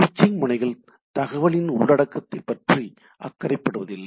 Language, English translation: Tamil, So, switching nodes do not concerned with the content of the data